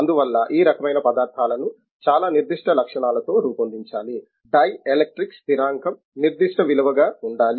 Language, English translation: Telugu, Therefore, this type of materials have to be designed and fabricated with a very specific properties, dielectric constant has to be specific value